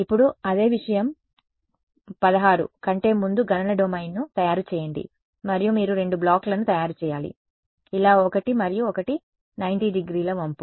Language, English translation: Telugu, Now same thing they say make the computational domain as before 16, 16 and you have to make two blocks; one like this and the one the 90 degree bend